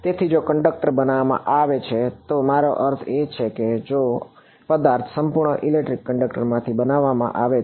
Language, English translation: Gujarati, So, if the conductor is made I mean if the object is made out of a perfect electric conductor